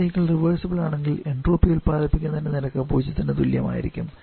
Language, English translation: Malayalam, And the cycle is completely reversible then the rate of entropy generation also will be equal to 0